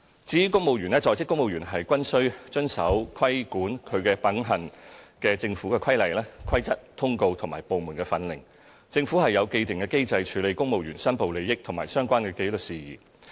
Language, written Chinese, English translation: Cantonese, 至於公務員方面，在職公務員均須遵守規管其品行的政府規例、規則、通告及部門訓令，政府有既定機制處理公務員申報利益和相關紀律事宜。, All serving civil servants are subject to the Government Regulations Rules Circulars and Departmental Instructions that govern their conduct . The Government has established mechanisms to handle declaration of interests by civil servants and related disciplinary matters